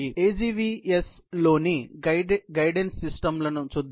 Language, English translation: Telugu, Let us look at the guidance systems in an AGVS